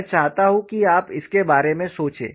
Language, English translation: Hindi, I want to you think about it